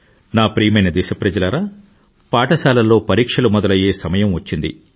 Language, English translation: Telugu, My dear countrymen, exam time in schools throughout the nation is soon going to dawn upon us